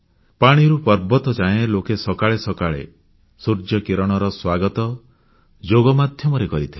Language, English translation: Odia, From the seashores to the mountains, people welcomed the first rays of the sun, with Yoga